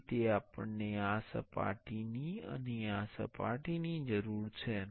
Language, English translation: Gujarati, This is how we need this and this surface and this and this surface